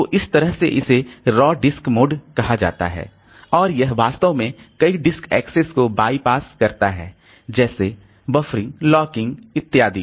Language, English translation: Hindi, So, that is called raw disk mode and it actually bypasses many of this disk access constraint like the buffering, locking, etc